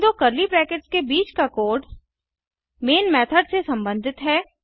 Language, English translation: Hindi, The code between these two curly brackets will belong to the main method